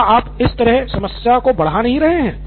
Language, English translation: Hindi, So is it aren’t you compounding the problem then